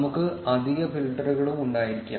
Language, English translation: Malayalam, We can also have additional filters